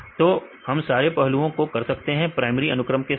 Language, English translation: Hindi, So, because all this aspects we can do from primary sequences right